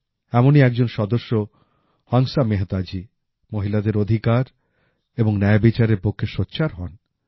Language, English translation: Bengali, One such Member was Hansa Mehta Ji, who raised her voice for the sake of rights and justice to women